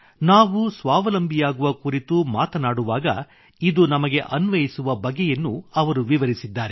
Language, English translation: Kannada, He asks what it means to us when we talk of becoming selfreliant